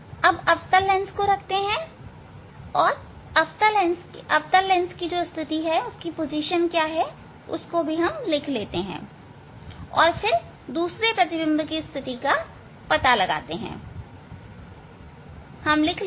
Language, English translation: Hindi, Now, put the concave lens and note down the position of this concave lens and then find out the second image next image position